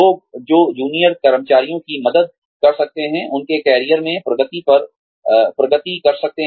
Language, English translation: Hindi, People, who can help, junior employees, progress in their careers